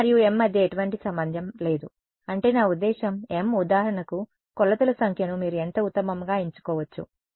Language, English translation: Telugu, There is no relation between n and m, I mean I mean m for example, the number of measurements you can choose it to be at best how much